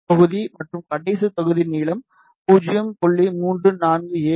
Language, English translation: Tamil, First block and the last block the length is 0